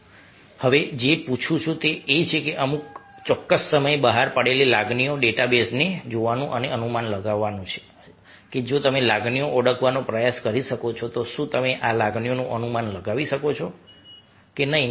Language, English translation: Gujarati, now what i am asking to do is to look at our of emotions which we a at certain point of time, and to guess if you are able to, ah, try to identify the emotions